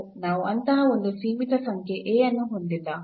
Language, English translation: Kannada, So, we do not have such a A a finite number A